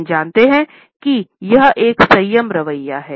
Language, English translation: Hindi, However, we find that it shows a restraint attitude